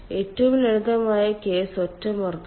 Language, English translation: Malayalam, the simplest case is singe pressure